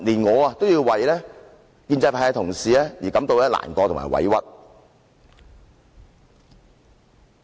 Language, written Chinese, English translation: Cantonese, 我也為建制派同事感到難過和委屈。, I also feel sorry and aggrieved for pro - establishment colleagues